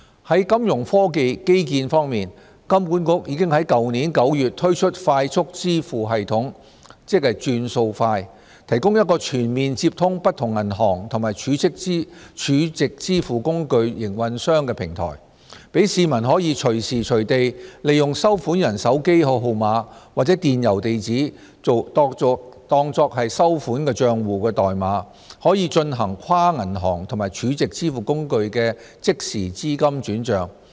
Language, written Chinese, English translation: Cantonese, 在金融科技基建方面，香港金融管理局已在去年9月推出快速支付系統"轉數快"，提供一個全面接通不同銀行及儲值支付工具營運商的平台，讓市民可以隨時隨地利用收款人手機號碼或電郵地址作收款帳戶代碼進行跨銀行及儲值支付工具的即時資金轉帳。, As regards Fintech infrastructure the Hong Kong Monetary Authority HKMA launched the Faster Payment System FPS in September last year to connect banks and stored - value facility SVF operators on the same platform for the public to transfer funds anytime anywhere across different banks or SVFs with funds available almost immediately by using the payees mobile phone number or email address as an account proxy